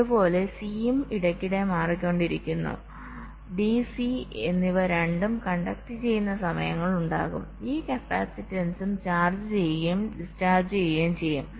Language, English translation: Malayalam, so there will be times when both d and c will be conducting and this capacitance will also be charging and discharging ok